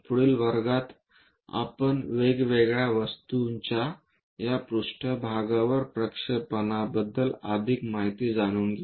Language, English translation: Marathi, In the next class, we will learn more about these projections of different objects on to planes to understand the information